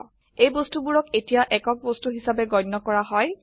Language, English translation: Assamese, These objects are now treated as a single unit